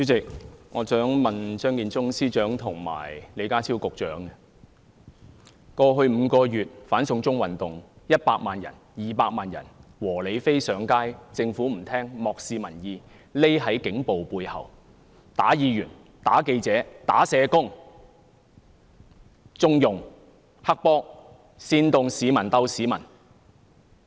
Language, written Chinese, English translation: Cantonese, 主席，我想問張建宗司長及李家超局長，過去5個月的"反送中運動"有100萬、200萬"和理非"上街，政府不聆聽，漠視民意，躲在警暴背後，毆打議員、毆打記者、毆打社工，縱容黑幫，煽動"市民鬥市民"。, President my question to Chief Secretary for Administration Matthew CHEUNG and Secretary for Security John LEE is about the anti - extradition to China movement in the past five months . During the period 1 million and 2 million Peaceful rational and non - violent protesters had taken to the streets but the Government has turned a deaf ear to and disregarded public opinions hidden behind the police brutality of beating Members beating journalists and beating social workers condoned the acts of triad gangsters and incited the people to fight among themselves